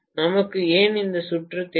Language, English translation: Tamil, Why do we need magnetic circuit